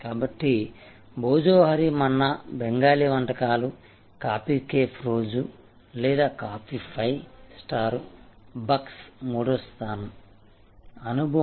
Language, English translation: Telugu, So, Bhojohori Manna Bengali cuisine, coffee cafe day or star bucks on coffee, the third place experience